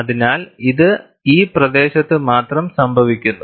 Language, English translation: Malayalam, So, it should happen only in this region